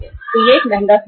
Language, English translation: Hindi, So this is expensive source